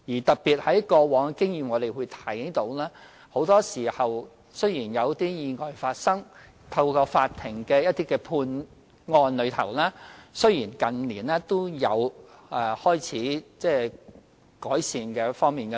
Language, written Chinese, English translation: Cantonese, 從過往經驗所見，很多時候，在意外發生後，透過法庭的判案，判刑情況在近年開始有改善。, As we can see from past experience it is often the case that after accidents occurred and through judgments made by the Court improvement has started to be made in recent years